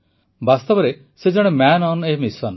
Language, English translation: Odia, In reality he is a man on a mission